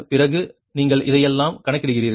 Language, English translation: Tamil, then you you compute all this right